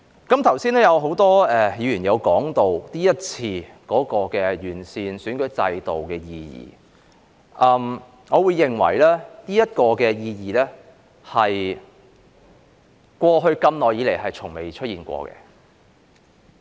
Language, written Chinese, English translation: Cantonese, 剛才很多議員也提及今次完善選舉制度的意義，我認為這意義是過去這麼多年來從沒出現過的。, Just now many Members mentioned the significance of this exercise on improving the electoral system . In my view such significance has never been seen in the past years